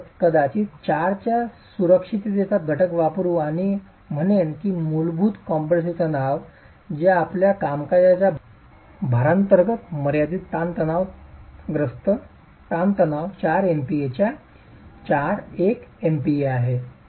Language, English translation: Marathi, We will probably use a factor of safety of 4 and say that the basic compressive stress which is your limiting compressive stress under working loads is 4 mp